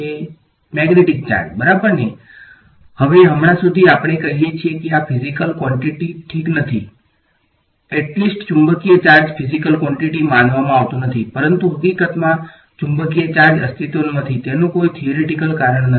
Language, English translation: Gujarati, Magnetic charge ok; now as of now we say that these are not physical quantities ok, at least magnetic charge is not supposed to be a physical quantity, but there is actually no theoretical reason why magnetic charge does not exist